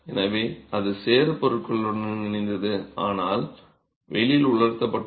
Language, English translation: Tamil, So, it was mud combined with materials but sun dried